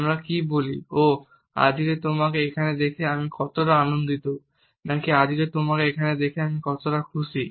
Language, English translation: Bengali, Do we say, oh how happy I am to see you here today or do we say it how happy I am to see you here today